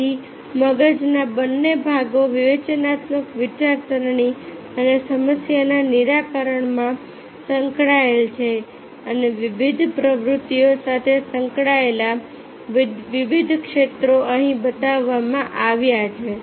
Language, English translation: Gujarati, so both the parts of the brain are involved in critical thinking and problem solving and the different areas that are involved in different activities are shown here